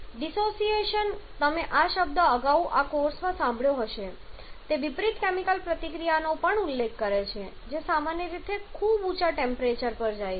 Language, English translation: Gujarati, Dissociation you have heard this term earlier in this course also refers to the reverse chemical reaction which generally happens at very high temperatures